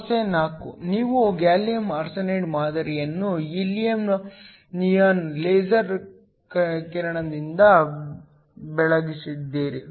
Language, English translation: Kannada, Problem 4: you have a gallium arsenide sample is illuminated with a helium neon laser beam